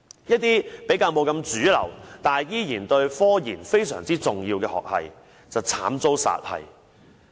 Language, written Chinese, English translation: Cantonese, 那些不是主流，但對科研非常重要的學系便慘遭殺系。, Faculties that are less popular but instrumental to the scientific research are closed